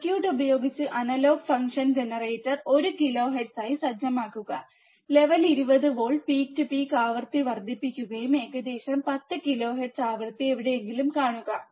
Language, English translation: Malayalam, Using the circuit set analog function generator to 1 kilohertz now using the circuit adjust the signal level 20 volts peak to peak increase the frequency and watch the frequency somewhere about 10 kilohertz